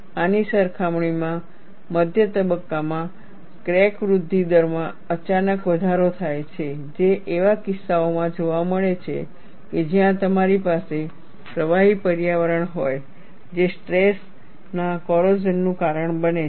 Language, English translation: Gujarati, In comparison to this, there is a sudden increase in crack growth rate in the intermediate stage, which is seen in cases, where you have liquid environments, that causes stress corrosion